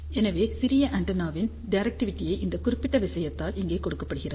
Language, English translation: Tamil, So, directivity of small antenna is given by this particular thing over here